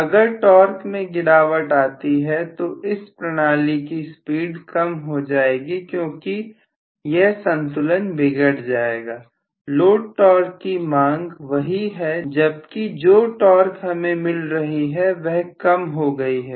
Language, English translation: Hindi, If you have really a drop in the torque then the mechanism will lose its speed because of this particular balance this balance is lost, the load torque demand is the same whereas the torque what I have got is smaller